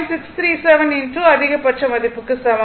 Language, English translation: Tamil, 637 into maximum value that equal to 1